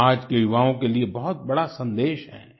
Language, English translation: Hindi, This is a significant message for today's youth